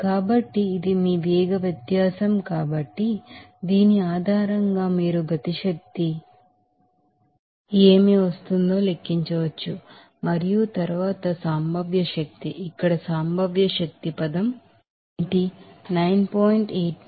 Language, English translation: Telugu, So, this is your velocity difference so, based on which you can calculate what the kinetic energy will come and then + potential energy, what is the potential energy term here, g is 9